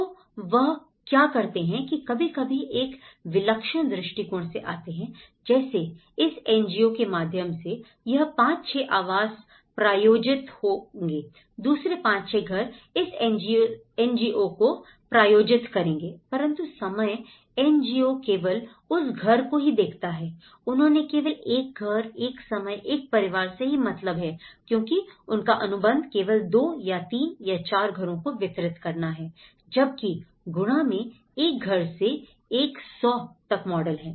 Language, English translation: Hindi, Like what they do is sometimes approach is through a singular NGOs like okay, there are 5, 6 houses this NGO will sponsor, another 5, 6 houses this NGO will sponsor, so that time the NGO only looks at that house, they only talked about one house, one at a time, one family because their contract is all about delivering 2 or 3 or 4 houses whereas in the multiplication model from one house to a 100